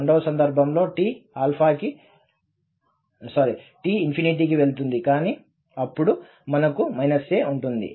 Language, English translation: Telugu, In the second case, t goes to infinity but then we have minus a